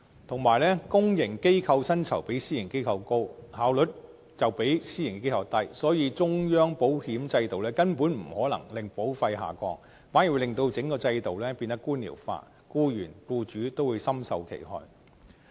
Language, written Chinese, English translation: Cantonese, 同時，公營機構薪酬比私營機構高，效率卻比私營機構低，所以，中央保險制度根本不可能令保費下降，反而會令整個制度變得官僚化，僱員和僱主都會深受其害。, Meanwhile public organizations offer higher salaries than the private sector but their efficiency is actually lower . Therefore setting up a central employees compensation insurance scheme will not bring about a drop in premium . Quite the contrary it will cause the entire system to become bureaucratic which will do enormous harm to employees and employers